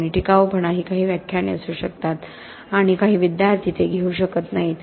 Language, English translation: Marathi, And durability is may be just a few lectures and some students might not even take it